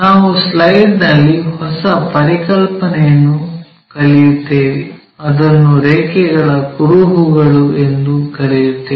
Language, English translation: Kannada, And we will learn a new concept in the slide, it is what we call trace of a line